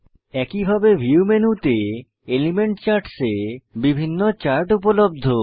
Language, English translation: Bengali, Likewise, different charts are available under View menu, Element charts